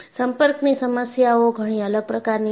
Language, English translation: Gujarati, Contact problems are far different